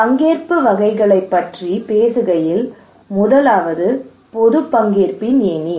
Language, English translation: Tamil, And talking about the types of participations a ladder of public participation